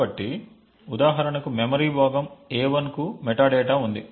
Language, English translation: Telugu, So, for example for the chunk of memory a1 the metadata is present